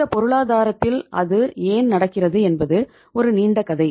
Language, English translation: Tamil, Why that was happening in this economy that is a long story